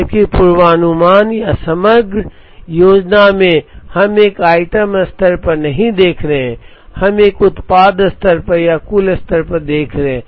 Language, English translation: Hindi, Whereas, in forecasting or aggregate planning, we were not looking at an item level, we were looking more at a product level or at an aggregate level